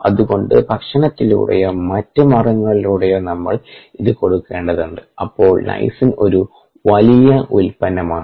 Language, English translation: Malayalam, so we need to supplemented through diet or are the means, and therefore lysine is a huge product